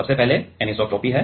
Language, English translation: Hindi, First of all is anisotropy